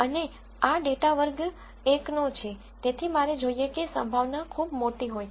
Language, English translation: Gujarati, And since this data belongs to class 1, I want this probability to be very large